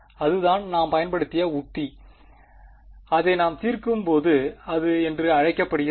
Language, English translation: Tamil, So, that is the strategy that we will use and when we solve it like that its called the